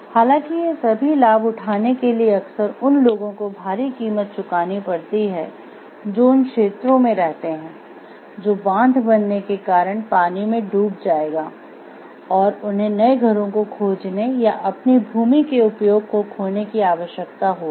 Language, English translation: Hindi, However, these benefits often come at the expense of people who live in areas that will be flooded by the dam and I required to find new homes or lose the use of their land